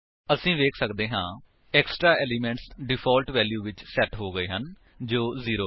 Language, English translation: Punjabi, As we can see, the extra elements have been set to the default value which is 0